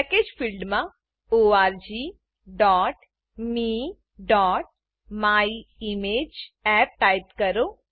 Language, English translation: Gujarati, In the Package field, type org.me.myimageapp